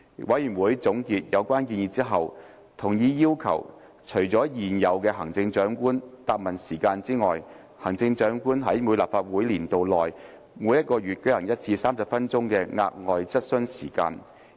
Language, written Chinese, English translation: Cantonese, 委員會總結有關建議後，同意要求在現有的行政長官答問時間以外，行政長官在每一立法年度內每月舉行一次30分鐘的額外質詢時間。, After considering the relevant proposals the Committee agreed that in addition to the current Chief Executives Question and Answer Sessions the Chief Executive should be requested to attend one additional Question Time lasting 30 minutes to be held each month in each legislative session